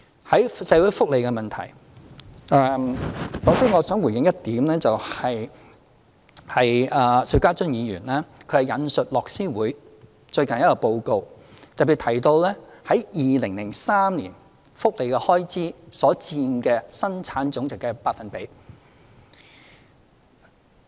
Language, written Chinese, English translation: Cantonese, 在社會福利問題方面，首先我想回應一點，邵家臻議員引述樂施會最近一個報告，特別提到在2003年福利開支所佔本地生產總值的百分比。, In terms of social welfare first of all I would like to respond to Mr SHIU Ka - chun who quoted from the latest report of Oxfam our welfare expenditure as a percentage of Gross Domestic Product GDP in 2003